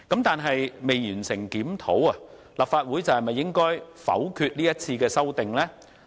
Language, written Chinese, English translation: Cantonese, 但是，未完成相關檢討，是否代表立法會應否決這項條文的修訂呢？, That said should we say that before the completion of such a review the Legislative Council should reject these legislative amendments?